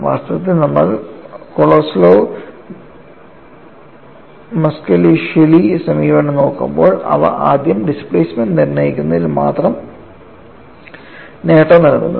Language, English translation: Malayalam, And another advantage of this Kolosov Muskhelishvili approach is, this method provides a simpler way to calculate the displacement